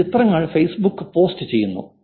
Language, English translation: Malayalam, I post pictures on Facebook